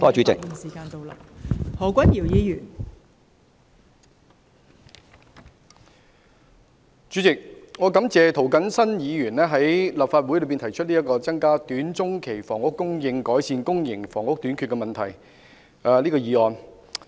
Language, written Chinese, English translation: Cantonese, 代理主席，我感謝涂謹申議員在立法會提出這項"增加短中期房屋供應，改善公營房屋短缺問題"的議案。, Deputy President I thank Mr James TO for proposing this motion on Increasing housing supply in the short - to - medium term to rectify the problem of public housing shortage